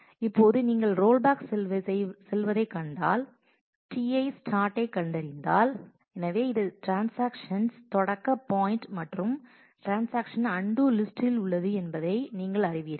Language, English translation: Tamil, Now when you find going backwards, when you find ti start; so you know that this is a starting point of the transaction and the transaction is in undo list